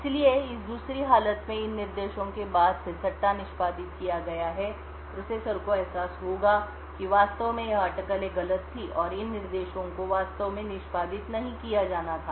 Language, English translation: Hindi, So, in this condition 2 since these instructions following have been speculatively executed the processor would realize that in fact this speculation was wrong and these instructions were actually not to be executed